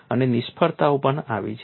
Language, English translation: Gujarati, And failures have been there